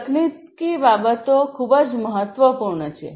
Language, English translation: Gujarati, So, technology considerations are very important